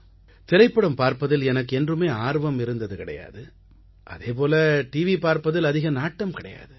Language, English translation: Tamil, I have never had any interest in watching films, nor do I watch TV with the same intent